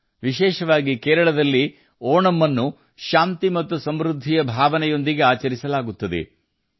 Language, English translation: Kannada, Onam, especially in Kerala, will be celebrated with a sense of peace and prosperity